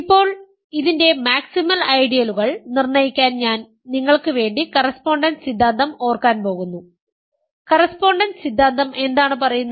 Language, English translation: Malayalam, Now, in order to determine the maximal ideals of this, I am going to recall for you the correspondence theorem, what does correspondence theorem say